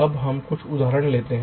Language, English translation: Hindi, now lets takes some examples